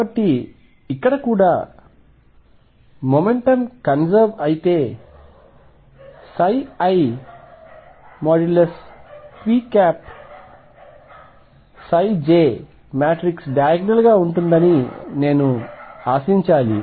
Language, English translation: Telugu, So, here also if momentum is conserved I should expect that psi i momentum operator psi j matrix will be diagonal right